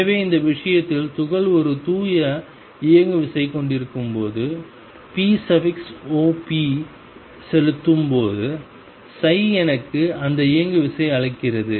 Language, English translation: Tamil, So, in this case when the particle has a pure momentum p applying p operator on psi gives me that momentum